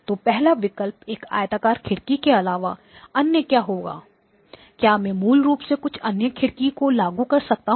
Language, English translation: Hindi, So the first option would be is other than a rectangular window; can I apply some other window basically